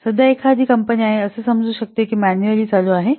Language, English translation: Marathi, So a company currently it is supposed it is running it manually